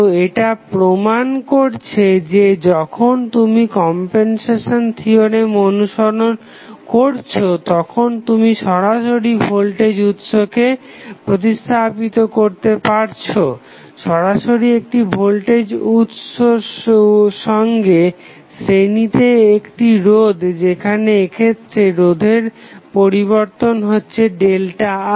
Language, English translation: Bengali, So, this justifies that, when you follow the compensation theorem, you can directly replace the voltage source, directly placed voltage source in series with the at the resistance where the change in resistance happened in this case it was delta R